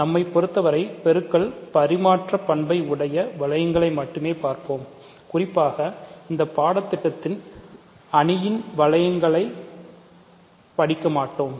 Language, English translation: Tamil, So, for us we will only look at rings which were the multiplication is commutative in particular we will not study matrix rings in this course ok